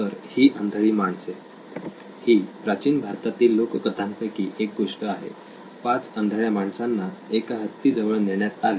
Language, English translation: Marathi, So these blind men, this is from an old Indian folklore so to speak, 5 men blind men were moved on to an elephant